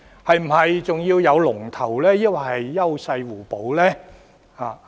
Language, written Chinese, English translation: Cantonese, 又或是否仍要有龍頭，還是應該優勢互補？, Alternatively is a leader still necessary or should we complement one another?